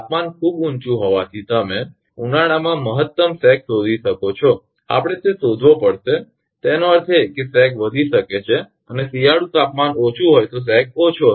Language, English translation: Gujarati, We have to find out the maximum sag in summer you can find due to temperature the temperature is very high; that means, sag may increase and winter temperature is low the sag will be less